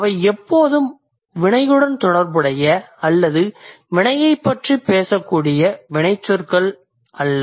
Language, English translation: Tamil, So, not all the verbs always talk about or always related to action